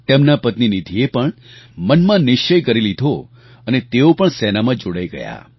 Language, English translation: Gujarati, His wife Nidhi also took a resolve and joined the army